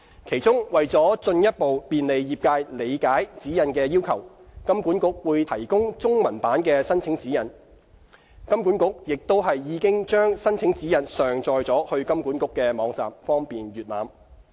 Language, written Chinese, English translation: Cantonese, 其中，為進一步便利業界理解指引的要求，金管局會提供中文版的申請指引。金管局並已將申請指引上載至金管局的網站，方便閱覽。, In particular to further facilitate the trades understanding of the requirements under the guidelines HKMA would provide the application guidelines in Chinese which has now been uploaded to HKMAs website for easy reference